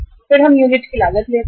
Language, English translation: Hindi, Then we take the unit cost